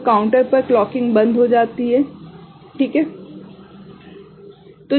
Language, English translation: Hindi, So, the clocking to the counter stops is it fine